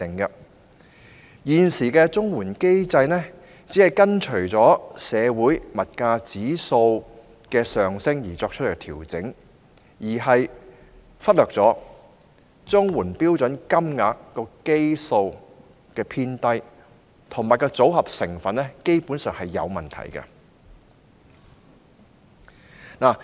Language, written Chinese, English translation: Cantonese, 現時的綜援機制只按照社會保障援助物價指數上升而作出調整，忽略了綜援標準金額的基數偏低和組合成分基本上有問題的情況。, Under the existing mechanism CSSA rates are merely adjusted in accordance with the increase in the Social Security Assistance Index of Prices whilst ignoring the fact that the CSSA standard rates were determined at a low base and their basically problematic composition